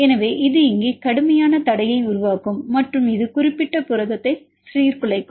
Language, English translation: Tamil, So, here this will create steric hindrance and this will destabilize the particular protein